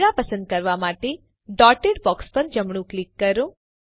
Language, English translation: Gujarati, Right clicking on the dotted box to select the camera